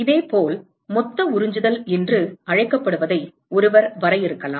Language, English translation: Tamil, Similarly, one could define what is called the total absorptivity